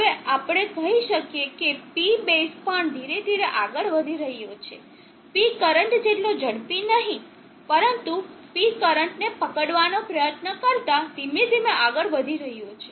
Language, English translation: Gujarati, Now let us say that the P base is also moving slowly not as fast as P current, but slowly moving up trying to catch up with P current